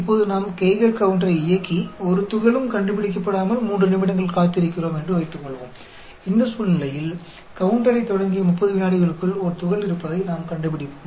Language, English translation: Tamil, Now, suppose we turn on the Geiger counter and wait for 3 minutes without detecting a particle, in this situation, we detect a particle within 30 seconds of starting the counter